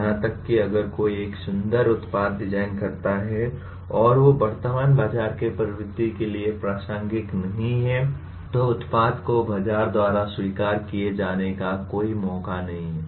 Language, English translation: Hindi, Even if one designs a beautiful product and it is not relevant to the current market trends, the product has no chance of getting accepted by the market